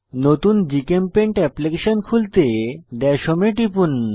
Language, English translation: Bengali, To open a new GChemPaint application, click on Dash home